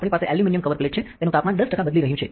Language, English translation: Gujarati, So, we have an aluminium cover plate that is changing the temperature by 10 percent